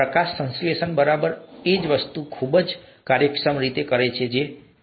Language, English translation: Gujarati, Photosynthesis does exactly the same thing in a very efficient fashion, right